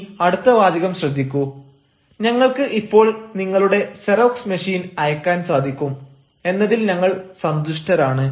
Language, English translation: Malayalam, you see the next sentence: we are glad we can now send your xerox machine